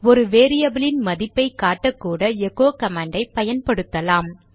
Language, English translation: Tamil, We can also use the echo command to display the value of a variable